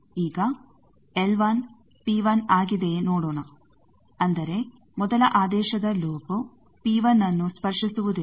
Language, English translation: Kannada, Now let us also see whether L 1 is P 1; that means, first order loop non touching P 1